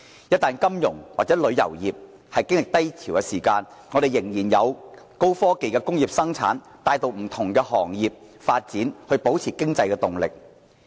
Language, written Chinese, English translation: Cantonese, 一旦金融或旅遊業經歷低潮，我們仍然有高科技的工業生產帶動不同行業發展，保持經濟動力。, So when the financial or the tourism sector are staying in the troughs high - tech industrial production can still provide the momentum driving the development of various sectors thereby maintaining overall economic vitality